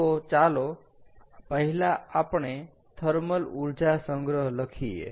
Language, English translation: Gujarati, ok, so first lets write down thermal energy storage